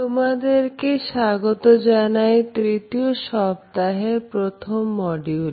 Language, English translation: Bengali, Dear participants, welcome to week 3, module 1, in our course